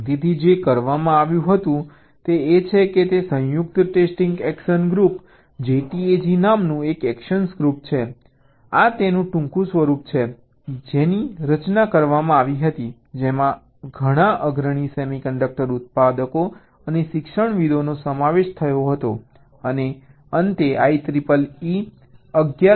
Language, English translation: Gujarati, there is an action group called joint test action group jtag this is the short form of it was formed which was comprised of several of the leading semi conduct a manufactures and academicians